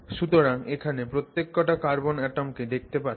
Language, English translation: Bengali, So you can see every carbon atom atom here